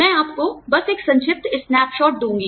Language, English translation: Hindi, I will just give you a brief snapshot